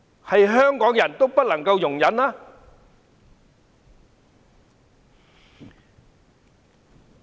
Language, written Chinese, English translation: Cantonese, 但凡香港人，都不能夠容忍。, No Hong Kong people should put up with them